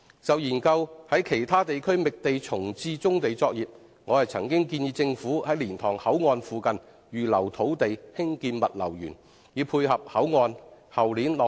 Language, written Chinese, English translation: Cantonese, 就研究在其他地區覓地重置棕地作業，我曾建議政府在蓮塘口岸附近預留土地興建"物流園"，以配合口岸於後年落成。, When it comes to exploring the resiting of brownfield operations in other districts I have suggested that the Government should set aside land in the vicinity of the Liantang Boundary Control Point for constructing a logistics park to complement the commissioning of the Boundary Control Point in the year after next